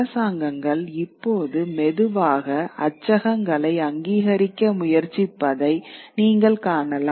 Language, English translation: Tamil, You see governments now slowly trying to authorize printing presses